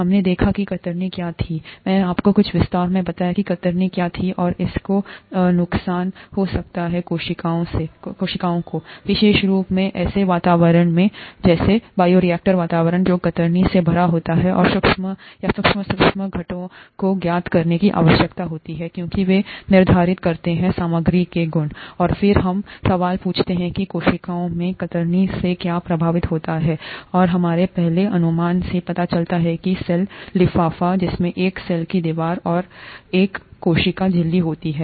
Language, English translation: Hindi, We saw what shear was; I told you in some detail what shear was and that it can cause damage to cells, especially in an environment such as a bioreactor environment which is full of shear, and the microscopic or the sub micoscopic components need to be known because they determine the properties of materials, and then we ask the question what gets affected by shear in cells and we came up with our first guess, a cell envelope which consists of a cell wall and a cell membrane